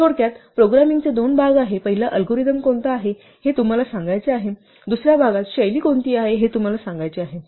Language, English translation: Marathi, To summarize, there are two parts of programming; first is what you want to say which the algorithm is, in the second part is how you say which is the style